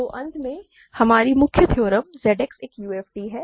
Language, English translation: Hindi, So, finally, our main theorem Z X is a UFD